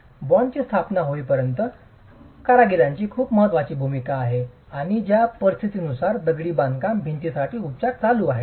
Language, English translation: Marathi, Workmanship has a very important role as far as the establishment of bond is concerned and conditions under which curing is happening for the masonry wall